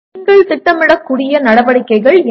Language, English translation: Tamil, Now what are the type of activities that you can plan